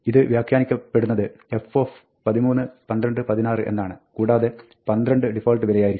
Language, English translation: Malayalam, This is interpreted as f of 13, 12, 16 and the default value 22